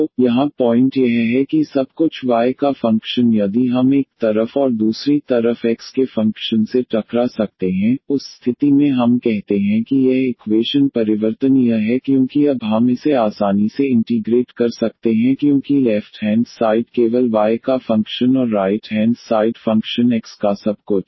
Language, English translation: Hindi, So, the point here is that everything the function of y if we can collate to one side and the other side the function of x, in that case we call that this equation is variable separable because now we can easily integrate this because the left hand side only the function of y and the right hand side everything of function x